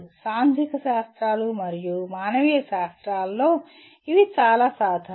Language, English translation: Telugu, They are quite common to subjects in social sciences and humanities